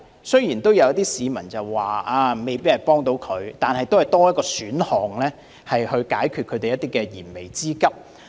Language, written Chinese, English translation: Cantonese, 雖然有市民說這計劃未必有幫助，但亦算是多一個選項可以解決燃眉之急。, Though some people say that the Scheme may not be helpful it has after all provided one more option for them to meet their pressing needs